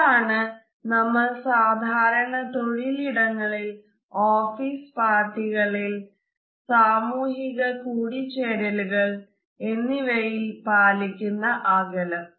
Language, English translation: Malayalam, This is the distance which we normally maintain at workplace during our office parties, friendly social gatherings etcetera